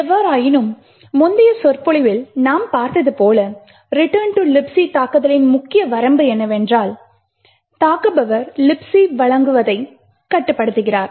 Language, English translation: Tamil, However, as we seen in the previous lecture the major limitation of the return to libc attack is the fact that the attacker is constrained with what the libc offers